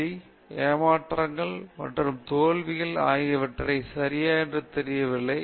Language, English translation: Tamil, The pain, frustrations, and failures, are not reported okay